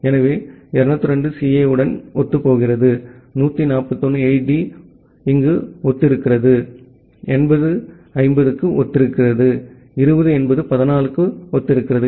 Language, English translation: Tamil, So 202 corresponds to CA, 141 corresponds to 8D, 80 corresponds to 50, 20 corresponds to 14